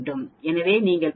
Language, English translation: Tamil, So it is giving 0